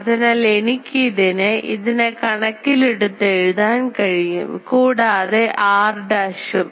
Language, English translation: Malayalam, So, I can write it in terms of that and this r dash also